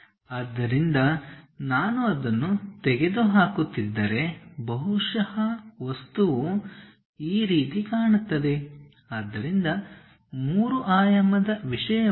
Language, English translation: Kannada, So, if I am removing that, perhaps the object looks like this; so, as a three dimensional thing